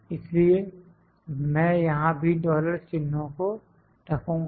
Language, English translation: Hindi, So, I will put it dollar signs here as well